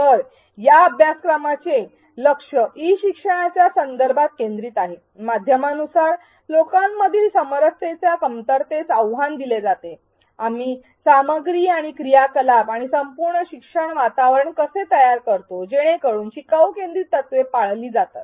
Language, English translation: Marathi, So, the focus of this course is that in the context of e learning, given the medium the format the challenges the lack of synchronicity between people how do we design the content and the activities and the entire learning environment so, that learner centric principles are followed